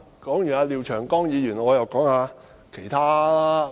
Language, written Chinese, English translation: Cantonese, 談完廖長江議員，我又要談談其他議員。, After commenting on Mr Martin LIAOs argument let me comment on other Members